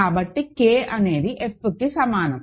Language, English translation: Telugu, So, K is equal to F ok